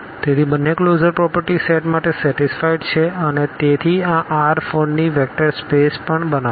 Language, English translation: Gujarati, So, the both the closure properties are satisfied for the set and hence this will also form a vector space of R 4